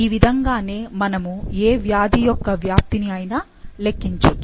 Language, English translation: Telugu, So, this is how we calculate penetrance of any particular disease